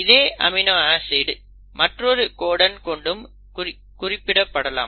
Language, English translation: Tamil, Now the same amino acid can also be coded by another codon, like GGC